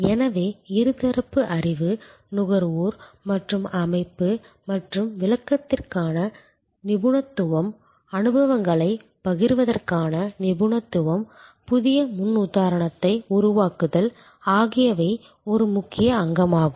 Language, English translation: Tamil, So, access to knowledge bidirectional, consumer as well as organization and expertise for interpretation, expertise for sharing experiences, construct new paradigm is an important element